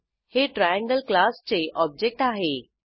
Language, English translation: Marathi, This is the object of class Triangle